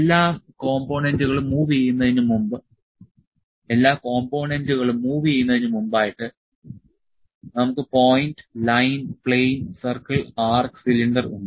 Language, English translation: Malayalam, So, before moving the all the components we have point, line, plane, circle, arc, cylinder